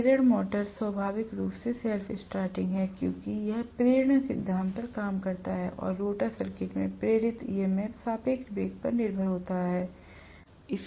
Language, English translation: Hindi, Induction motor is inherently self starting because it works on induction principle and the induced EMF that is happening actually in the rotor circuit is dependent upon the relative velocity